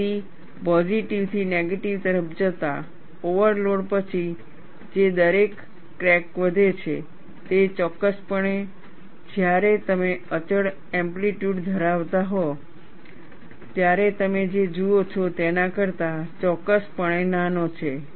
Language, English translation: Gujarati, So, definitely the rate at which crack grows after an overload, going from positive to negative, is definitely smaller than what you see, when you have constant amplitude